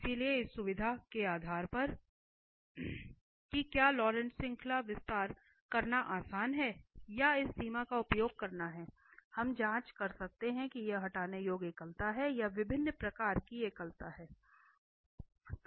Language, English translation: Hindi, So, depending on the convenience of whether the Laurent series expansion is easy to perform or using this limit we can check whether it is removable singularity or different kind of singularity